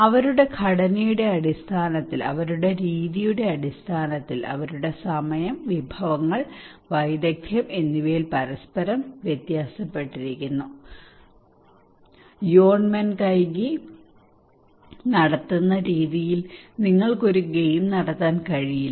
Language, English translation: Malayalam, In terms of their structure, in terms of their method, in terms of their time, resources, skill, they vary from each other great extent the way you conduct Yonnmenkaigi you cannot conduct the game